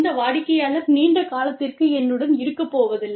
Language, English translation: Tamil, This customer is not going to be with me, for long term